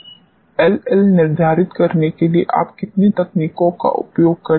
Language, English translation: Hindi, How many techniques you use to determine LL